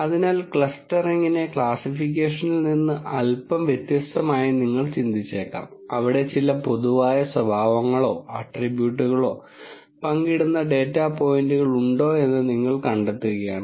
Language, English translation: Malayalam, So, you might think of clustering as slightly different from classification, where you are actually just finding out if there are data points which share some common characteristics or attributes